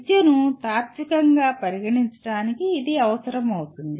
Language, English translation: Telugu, This becomes necessary to consider education philosophically